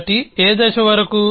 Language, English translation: Telugu, So, till what stage